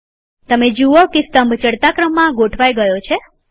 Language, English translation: Gujarati, You see that the column gets sorted in the ascending order